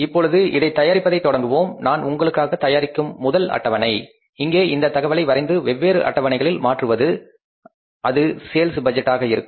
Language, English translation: Tamil, So now let's start preparing it and first schedule that I will prepare for you is here is drawing this information and converting that into the different budget schedules will be the sales budget